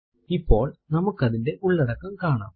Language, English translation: Malayalam, Now you can see its contents